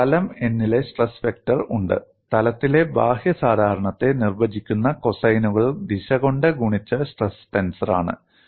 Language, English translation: Malayalam, I have the stress vector on plane n is nothing but stress tensor multiplied by the direction cosines defining the outward normal of the plane